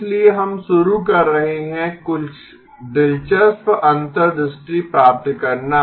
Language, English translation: Hindi, So we are starting to get some interesting insights